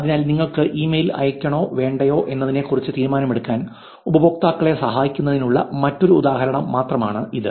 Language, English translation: Malayalam, So this is just an another example of helping users to make informed decision, whether you want to send the email or not